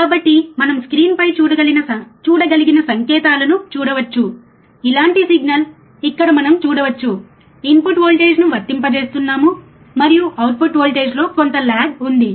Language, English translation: Telugu, So, we can see the signals which we were able to look at the in on the screen, similar signal we can see here we are applying the input voltage, and there is some lag in the output voltage